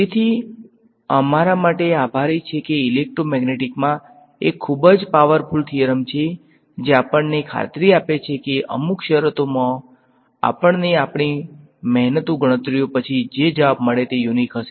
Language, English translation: Gujarati, So, thankfully for us there is a very powerful theorem in electromagnetics which guarantees us, that under certain conditions the answer that we get after our laborious calculations will be unique